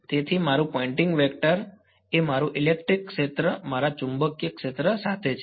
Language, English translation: Gujarati, So, my Poynting vector is along r hat and my electric field is along theta hat my magnetic field is along